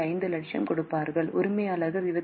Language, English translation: Tamil, 5 lakhs and owner has to put in 2